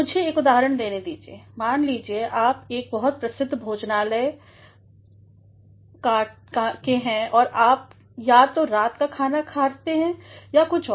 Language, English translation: Hindi, Let me give you an example; suppose you go to a very famous restaurant either to have dinner or to have something